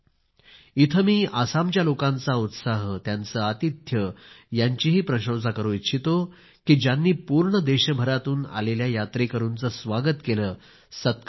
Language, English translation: Marathi, Here I would like to appreciate the warmth and hospitality of the people of Assam, who acted as wonderful hosts for pilgrims from all over the country